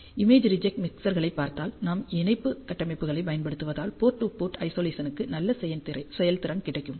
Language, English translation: Tamil, So, if you see for image reject mixers, because we use the coupling structures we get a very good performance on the port to port Isolation